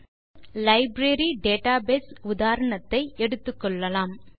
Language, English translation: Tamil, For this, let us consider our familiar Library database example